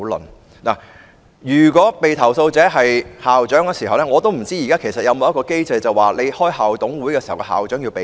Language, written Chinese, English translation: Cantonese, 我不知道如果被投訴者是校長，現時有無機制規定召開校董會會議時，校長須避席。, If the complaint is against the school principal I do not know if there is any current mechanism under which the school principal is required to withdraw from the meeting